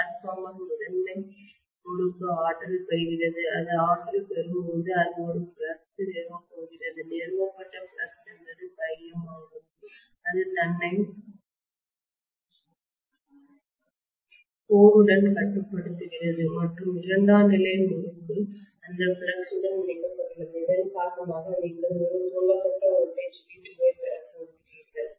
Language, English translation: Tamil, The transformer primary winding is energised, when it is energised it is going to establish a flux, that flux established is phi m that is confining itself to the core and the secondary winding is linked with that flux because of which you are going to get a voltage V2 induced, right